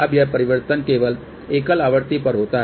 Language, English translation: Hindi, Now, this transformation happens only at single frequency